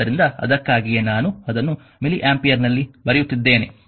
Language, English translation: Kannada, So, that is why you are writing it is milli ampere